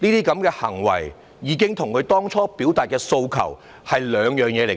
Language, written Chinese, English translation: Cantonese, 這些行為已經跟他們當初所表達的訴求是兩回事。, All such behaviour is completely irrelevant to the demands originally expressed by them